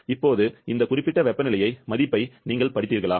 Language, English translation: Tamil, Now, did you read something this particular temperature value; 0